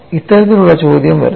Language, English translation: Malayalam, This kind of question comes